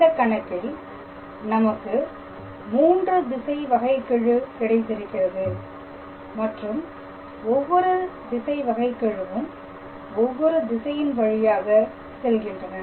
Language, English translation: Tamil, So, basically in this case we got 3 directional derivative and each one of them are directed along along three different directions